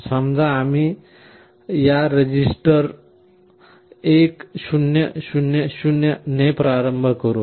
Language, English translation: Marathi, Let us say we initialize this register with 1 0 0 0